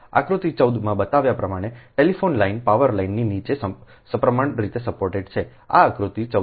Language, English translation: Gujarati, a telephone line is supported symmetrically below the power line, as shown in figure fourteen